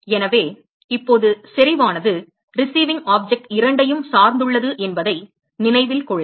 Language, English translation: Tamil, So, note that intensity now depends upon both the receiving object